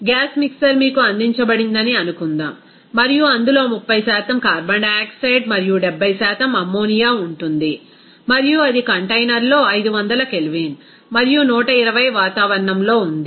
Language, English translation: Telugu, Suppose a gas mixer is given to you and that will contain 30% carbon dioxide and 70% ammonia and it exists at 500 Kelvin and 120 atmosphere in the container